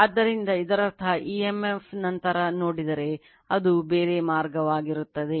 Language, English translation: Kannada, So, that means, emf on the I mean if you later we will see it will be a different way